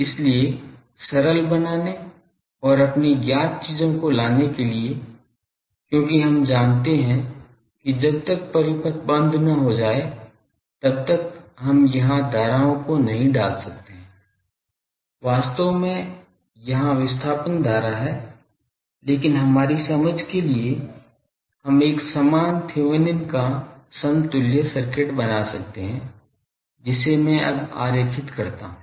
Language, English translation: Hindi, So, to simplify and to come to our known things, because we want unless until the circuit is closed with we cannot put the currents here, actually there is displacement current going on but to have our understanding, we can have a equivalent Thevenin’s equivalent circuit that I will draw now